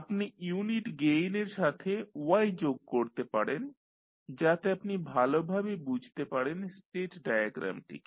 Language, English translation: Bengali, So, you can add y with unit gain so that you can have the clear understanding from the state diagram